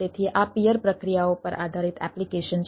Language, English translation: Gujarati, so there are application based on this peer processes, so another